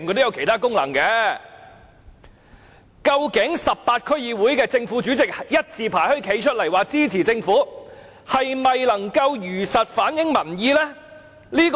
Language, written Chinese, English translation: Cantonese, 究竟18區區議會的正、副主席一字排開站出來支持政府時，這是否如實反映民意呢？, When the Chairmen and Vice Chairmen of the 18 DCs line up abreast to express support for the Government does it mean that they are reflecting public opinions truthfully?